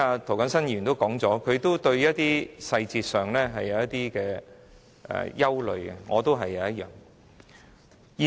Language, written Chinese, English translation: Cantonese, 涂謹申議員剛才表示對於細節有些憂慮，我也是如此。, Mr James TO just said that he was somewhat worried about certain details so am I